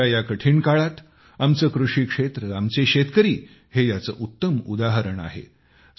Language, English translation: Marathi, In this difficult period of Corona, our agricultural sector, our farmers are a living testimony to this